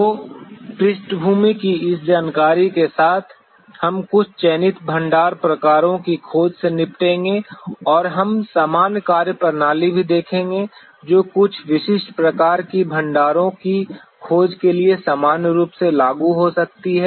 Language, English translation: Hindi, So, with this much of background information, we will be dealing with the discovery of some selected deposit types and also we will see the general methodology that could be applicable in general for exploration of some specific type of deposits